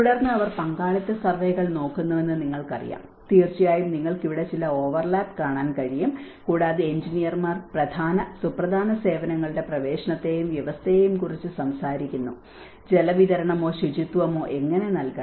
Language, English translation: Malayalam, And then you know they look at the participatory surveys, of course you can see some overlap here, and the engineers talk about the access and the provision of key vital services, how the water supply or sanitation has to be provided